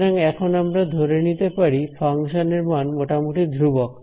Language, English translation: Bengali, So, it will be now we can assume that the value of the function is more or less constant